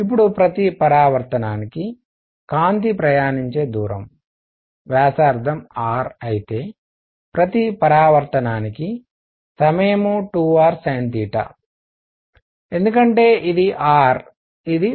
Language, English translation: Telugu, Now for each reflection the distance travelled by light is, if the radius is r then time per reflection is 2 r sin theta because this is r this is theta